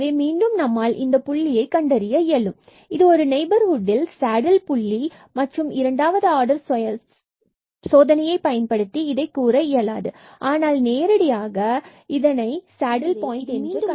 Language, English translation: Tamil, So, again we were able to identify this point here the 0 0 point and this comes to be the saddle point and which was not possible with the second order test, but the direct observation we can find that this is a saddle point